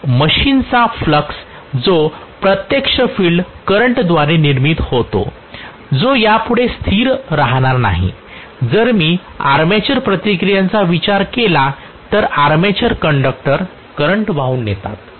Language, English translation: Marathi, The flux of the machine which is actually produced by the field current that will not be a constant anymore, if I consider armature reactions then the armature conductors are carrying current